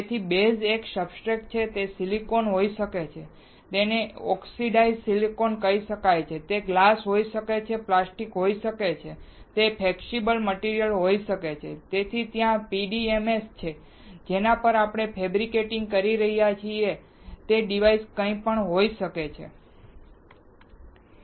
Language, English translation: Gujarati, So, the base is a substrate, it can be silicon, it can be oxidized silicon, it can be glass, it can be plastic, it can be flexible material, so there is PDMS, it can be anything on which you are fabricating the device